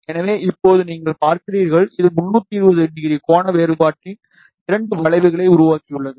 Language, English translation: Tamil, So, now you see, it has created two arcs of 320 degree angular variation